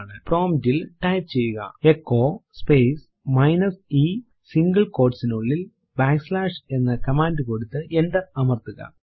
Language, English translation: Malayalam, Type at the prompt echo space minus e within single quote Enter a command back slash c and press enter